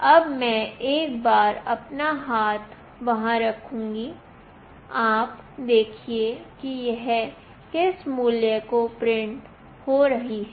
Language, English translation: Hindi, Now I will put my hand there once, you see what value it is getting printed